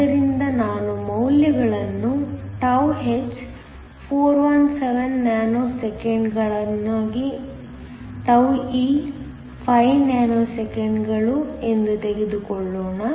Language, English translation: Kannada, So, let me take the values τh is 417 nanoseconds, τe to be 5 nanoseconds